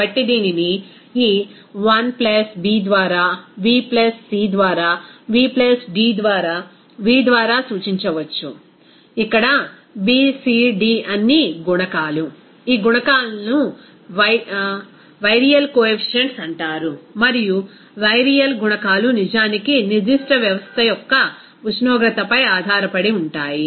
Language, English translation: Telugu, So, it can be represented by this 1+ B by v + C by v + D by v, where B, C, D are all coefficients, those coefficients are called Virial coefficients and Virial coefficients are actually depending on the temperature of that particular system